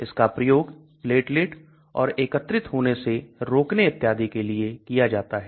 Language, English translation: Hindi, It is also used for platelet and de aggregation and so on so